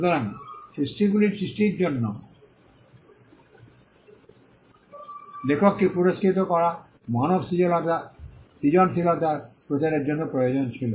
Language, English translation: Bengali, So, rewarding the author for the creating creation of the work was essential for promoting human creativity